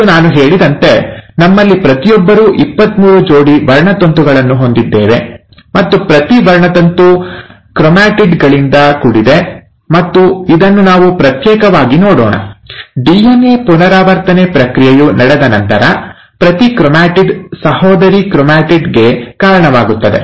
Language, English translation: Kannada, And each one of us, as I said, have twenty three pairs of chromosomes, and each chromosome is made up of chromatids, and what you find is after the process of DNA replication in cell cycle, we will cover this separately; after the process of DNA replication has taken place, each chromatid will give rise to the sister chromatid